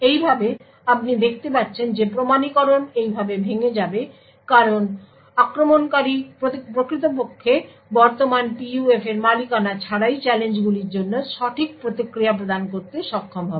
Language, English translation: Bengali, Thus you see that authentication will break in this way because the attacker without actually owning the current PUF would be able to provide the right responses for challenges